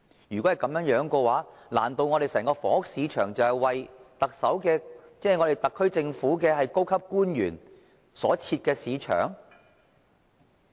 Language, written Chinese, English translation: Cantonese, 如果是這樣，難道我們整個房屋市場，僅僅是為特區政府的高級官員所設？, If so can it be said that the entire housing market is exclusively designed for senior SAR Government officials?